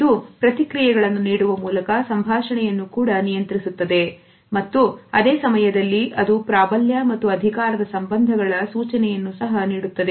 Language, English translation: Kannada, It also regulates conversation by providing feedback etcetera and at the same time it also gives cues of dominance and power relationship